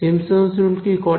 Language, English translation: Bengali, Simpson’s rule what did it do